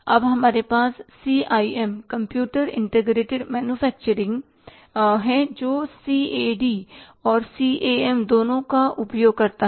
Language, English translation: Hindi, Now we have the CIM, computer integrated manufacturing utilizes both CAD and CAM